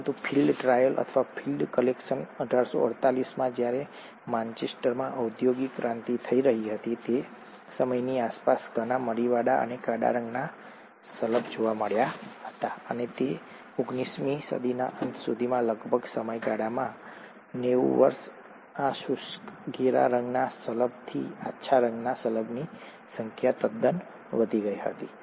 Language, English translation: Gujarati, But a field trial, or a field collection in 1848, around the time when the industrial revolution was taking place in Manchester, a lot of peppered and black coloured moths were observed, and by the end of that nineteenth century, in a period of about ninety years, the light coloured moths was totally outnumbered by these dry, dark coloured moths